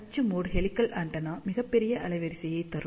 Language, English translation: Tamil, So, axial mode helical antenna does gave very large bandwidth